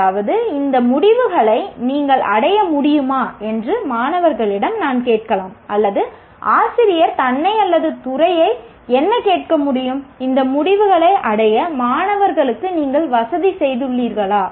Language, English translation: Tamil, That means, I can ask the students, have you been able to achieve these outcomes or a teacher can ask himself or herself or the department can ask, have you facilitated the students to achieve these outcomes